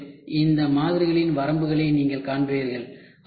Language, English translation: Tamil, And, then you will also see limitations of these models